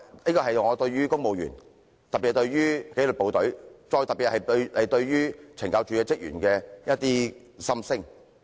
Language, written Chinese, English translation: Cantonese, 這是我對於公務員，特別是紀律部隊，尤其針對懲教署職員的一些心聲。, This is how I feel towards the civil service especially the staff of CSD among the disciplined services